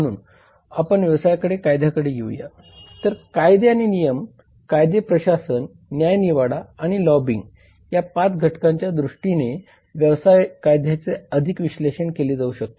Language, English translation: Marathi, so coming to business legislation Business legislation can be further analysed in terms of 5 factors namely laws and regulation legislation administration adjudication and lobbying so we will see these factors one by one